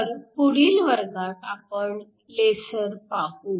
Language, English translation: Marathi, So, we look at lasers in the next class